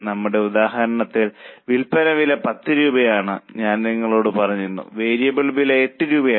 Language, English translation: Malayalam, So, in our example, I had told you that selling price is $10, variable cost is $8